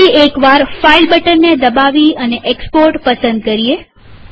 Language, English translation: Gujarati, Let us click the file button once again and choose export